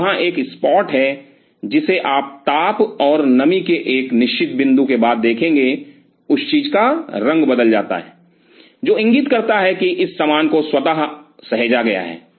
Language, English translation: Hindi, So, there is a spot you will see after a certain point of heat and moisture the color of that thing changes, which indicates that this stuff has been autoclaved